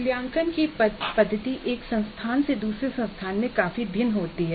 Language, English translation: Hindi, The method of assessment varies dramatically from institution to institution